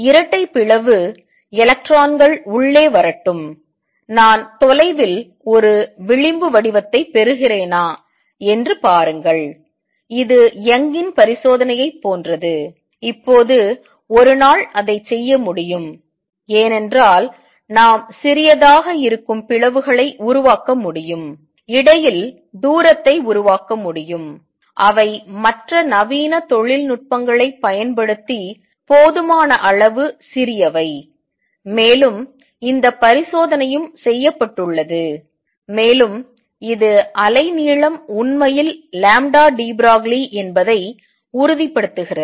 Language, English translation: Tamil, So, can I do a Young’s double slit experiment for electrons also can I prepare double slit let electrons come in, and see if I obtain a fringe pattern at the far end is like in Young’s experiment it was done, and now a days it can be done because we can make slits which are small enough we can create distance between them which are a small enough using other modern technology, and this experiment has also been done and that conforms that the wavelength indeed is lambda de Broglie